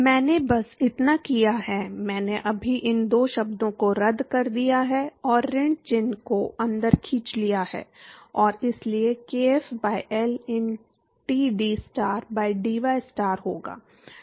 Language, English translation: Hindi, All I have done is, I have just cancelled out these two terms and pull the minus sign inside and so there will be kf by L into dTstar by dystar